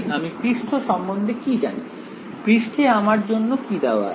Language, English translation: Bengali, What do I know about the surface, what is been given to me in the surface